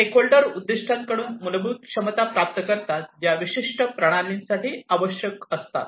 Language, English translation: Marathi, Stakeholders obtain the fundamental capabilities from the objectives, which are necessary for a particular system